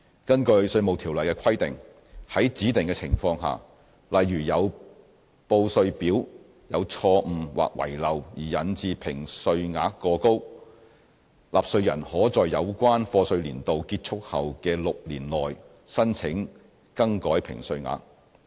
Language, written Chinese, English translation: Cantonese, 根據《稅務條例》的規定，在指定的情況下，例如因報稅表有錯誤或遺漏而引致評稅額過高，納稅人可在有關課稅年度結束後的6年內申請更改評稅額。, IRO provides that under specified circumstances such as an excessive assessment due to an error or omission in the tax return the taxpayer may apply for correction of the assessment within six years after the end of the relevant year of assessment